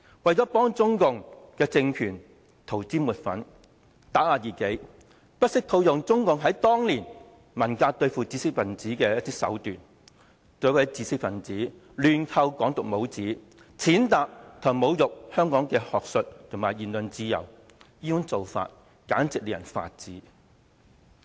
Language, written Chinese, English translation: Cantonese, 為了給中共政權塗脂抹粉，打壓異己，不惜套用中共在當年文革對付知識分子的手段，對一位知識分子亂扣"港獨"帽子，踐踏和侮辱香港的學術和言論自由，這種做法簡直令人髮指。, To whitewash the Chinese communist regime and suppress dissidents they did not hesitate to apply the way the Communist Party of China dealt with the intelligentsia in the Cultural Revolution back then to randomly pin the Hong Kong independence label on an intellectual and trample on and insult the academic freedom and freedom of speech in Hong Kong . Such acts are infuriating